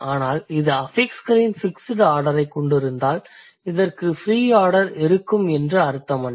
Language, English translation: Tamil, But if it has fixed order of fixes, it doesn't mean that it will have free order